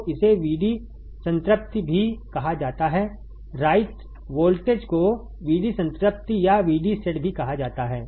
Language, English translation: Hindi, So, it is also called VD saturation right write voltage is also called VD saturation or VD set